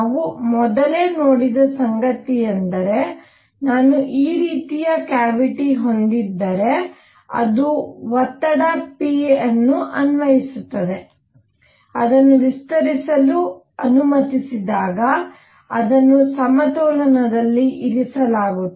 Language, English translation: Kannada, What we have seen earlier is that if I have a cavity like this, right, it is applying a pressure which is applying pressure p, when it is allowed to expand adiabatically keeping it in equilibrium, right